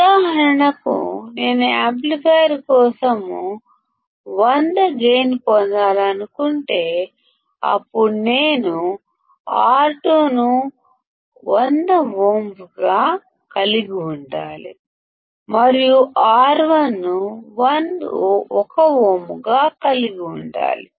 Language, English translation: Telugu, For example, if I want to have a gain of 100 for the amplifier; then I need to have R2 as 100ohms, and R1 should be 1ohm